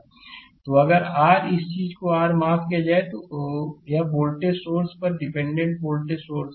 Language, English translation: Hindi, So, if volt if your sorry if your this thing this is the voltage source dependent voltage source right